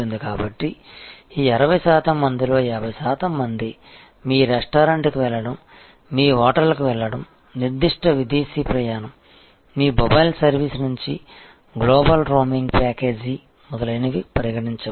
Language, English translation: Telugu, So, 50 percent of this 60 percent may consider going to your restaurant, going to your hotel, taking that particular foreign travel, global roaming package from your mobile service, etcetera